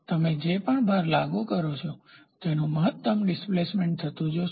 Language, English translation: Gujarati, So, the load whatever you apply you see maximum displacement happening